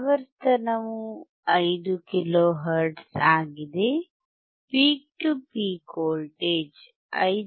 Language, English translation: Kannada, The frequency is 5 kilo hertz, peak to peak voltage is 5